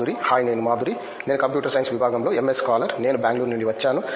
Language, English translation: Telugu, Hi I am Madhuri, I am a MS scholar in Computer Science Department, I am from Bangalore